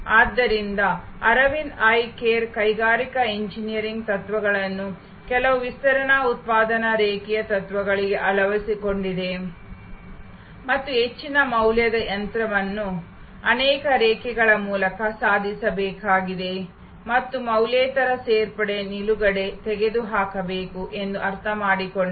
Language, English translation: Kannada, So, Aravind Eye Care adopted industrial engineering principles to some extend production line principles and understood that the most high value machine has to be feat through multiple lines and non value adding stop should be removed